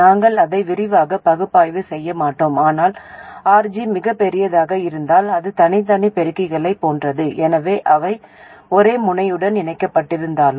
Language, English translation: Tamil, We won't analyze that in detail, but if RG is very large, it is like having separate amplifiers, although they are connected to the same node